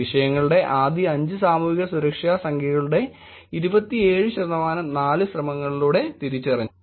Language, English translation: Malayalam, 27 percent of subjects' first 5 Social Security Number digits were identified with four attempts